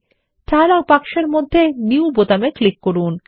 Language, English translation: Bengali, Click on the New button in the dialog box